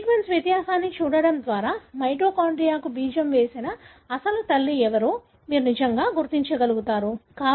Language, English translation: Telugu, By looking at the sequence difference, you will be able to really trace who could have been the original mother who seeded the mitochondria